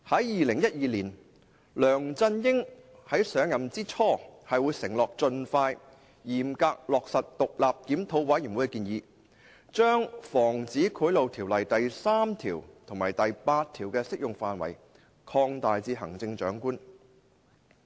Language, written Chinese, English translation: Cantonese, 2012年，梁振英在上任之初承諾會盡快、嚴格落實獨立檢討委員會的建議，將《防止賄賂條例》第3條及第8條的適用範圍擴大至行政長官。, In 2012 at the beginning of LEUNG Chun - yings term of office he promised to strictly implement the recommendation of the independent review committee to extend the scope of sections 3 and 8 of the Prevention of Bribery Ordinance to cover the Chief Executive